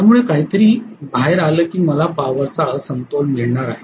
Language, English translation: Marathi, So something conks out I am going to have a power imbalance